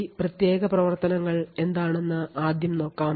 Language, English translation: Malayalam, So, we will first look at what these special functions are